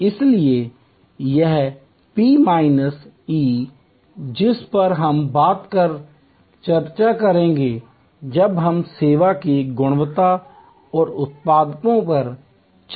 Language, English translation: Hindi, So, this P minus E which we will discuss in greater detail when we discuss service quality and productivity later on